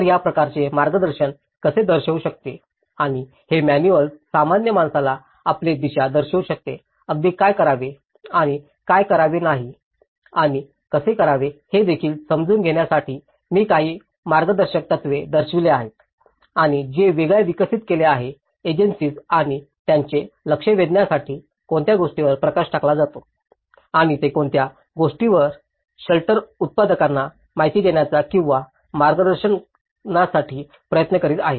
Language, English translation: Marathi, So, how this kind of guidance can show and these manuals can show your direction for the layman even to understand that what to do and what not to do and how to do, I will be showing a few guidelines and which has been developed by different agencies and what are the focus lights on and how they have tried to demonstrate and what is that they are trying to give an information or to a guidance to the shelter makers